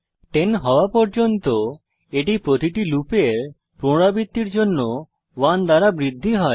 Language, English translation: Bengali, It keeps increasing by 1 for every iteration of the loop until it becomes 10